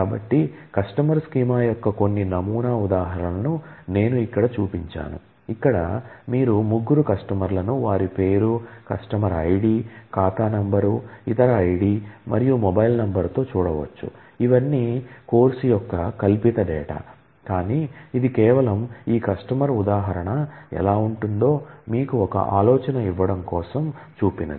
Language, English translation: Telugu, So, I have just shown here certain sample instance of customer schema, where you can see three customers with their name, customer ID, account number, other ID, and mobile number, these are all fictitious data of course, but this is just to give you an idea of how this customer instance would look like